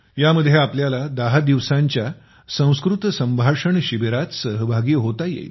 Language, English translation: Marathi, In this you can participate in a 10 day 'Sanskrit Conversation Camp'